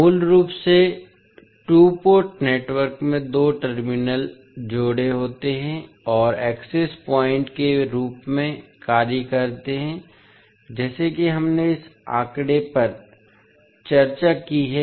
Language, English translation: Hindi, So, basically the two port network has two terminal pairs and acting as access points like we discussed in this particular figure